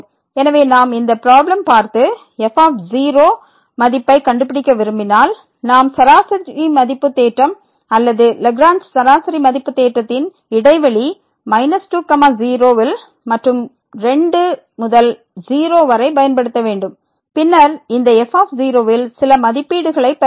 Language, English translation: Tamil, So, if we take a look at this problem and we want to find the value of , so, we need to apply the mean value theorem or Lagrange mean value theorem in the interval minus 2 to and to and then we will get some estimate on this